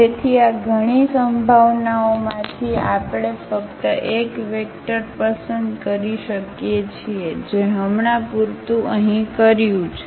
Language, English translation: Gujarati, So, out of these many possibilities we can just pick one vector that we have done here for instance